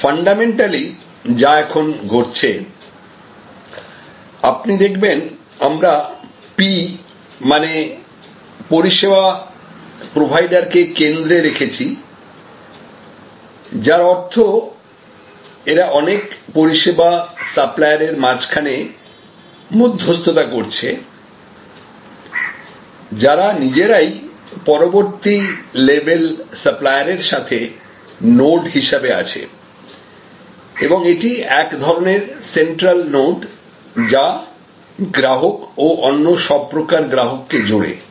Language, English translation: Bengali, So, fundamentally what is now happening is that you will see even in this we have put P the service provider in the center, which means as if this is actually the mediating node between this range of service suppliers, who are themselves again nodes of next level service suppliers and as if this is the central node, which connects to customers and all the other types of customers